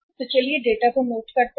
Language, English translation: Hindi, So let us note down the data